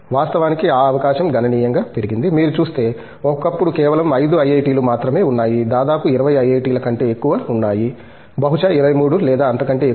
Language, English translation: Telugu, In fact, that opportunity has significantly grown, if you look at it, once upon a time there were just 5 IIT's now, there are almost more than 20 IIT's, possibly a number of 23 or so